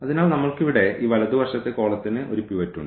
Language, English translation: Malayalam, So, we have this right here right most column has a pivot